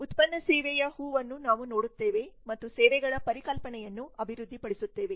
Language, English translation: Kannada, we see the flower of product service and developing the services concept